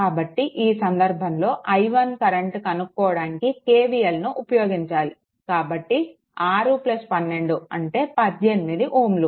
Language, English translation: Telugu, So, in this case to get that your i 1 you have to apply what you call that KVL so, 6 plus 12 18 ohm right